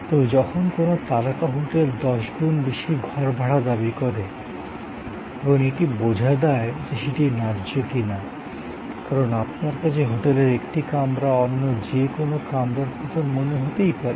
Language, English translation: Bengali, But, when a high star hotel demands ten times more room rent, it is often very difficult to comprehend that whether that is justified or not, because one may feel a hotel room is a hotel room